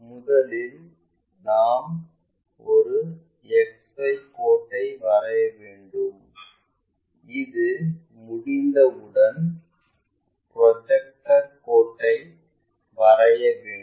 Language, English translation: Tamil, First we have to draw this XY line after that we draw a projector